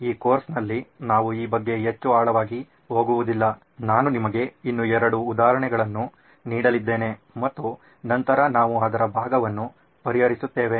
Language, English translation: Kannada, In this course we are not going to go deeper into this I am going to give you two more examples and then we will move on to the solve part of it